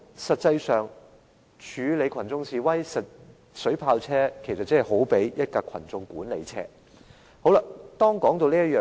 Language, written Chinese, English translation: Cantonese, 實際上，處理群眾示威，水炮車好比群眾管理車。, As a matter of fact in handling demonstrators water cannon vehicles are comparable to crowd control vehicles